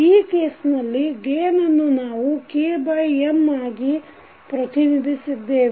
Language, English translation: Kannada, So like in this case we have represented this gain as K by M